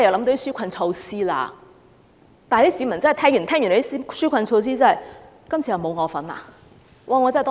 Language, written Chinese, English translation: Cantonese, 但是，市民聽完那些紓困措施後，覺得今次又沒有自己的份。, However after learning the contents of those relief measures people found out that they have been left out again this time